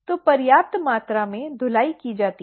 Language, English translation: Hindi, So, enough amount of washing is done